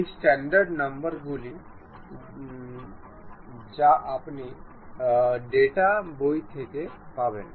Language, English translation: Bengali, These are the standard numbers what you will get from data books